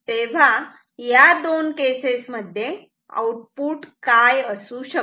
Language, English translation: Marathi, What will be the output in these 2 cases